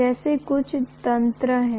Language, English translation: Hindi, There are some mechanisms like that